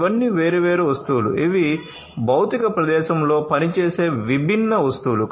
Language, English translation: Telugu, All of these are different objects these are different objects that work in the physical space